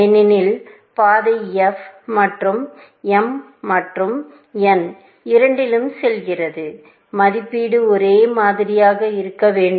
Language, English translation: Tamil, Since, the path is going through both f, and both m and n, the estimate should be ideally the same